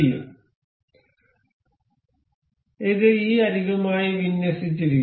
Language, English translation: Malayalam, So, this is aligned with this edge